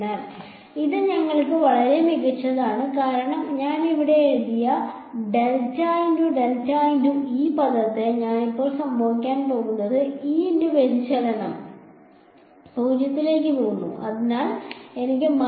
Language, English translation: Malayalam, So, that is great for us because what happens to this curl of curl of E that I have written over here only one term survives right, the divergence of E goes to 0, so I have a minus del squared E ok